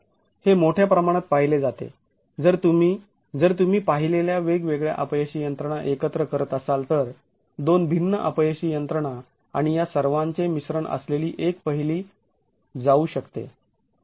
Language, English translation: Marathi, It was observed largely if you were to club the different failure mechanisms observed, two distinct failure mechanisms and one which is a combination of all these could be observed